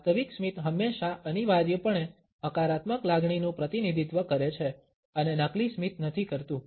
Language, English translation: Gujarati, Genuine smiles always necessarily represent a positive emotion and fake smiles do not